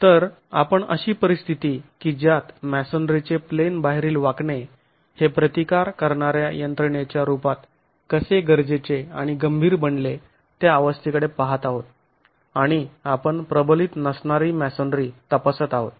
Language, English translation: Marathi, So we were looking at the conditions under which out of plane bending becomes essential and critical as a resisting mechanism of masonry and we are examining unreinforced masonry still